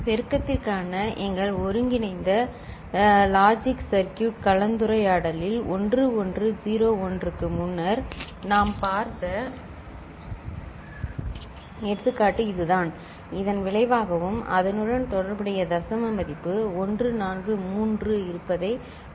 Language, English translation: Tamil, And the example that we shall take is the one which we have seen before that is 1101, in our combinatorial logic circuit discussion for multiplier, and we saw that this was the result and corresponding decimal value was 143 right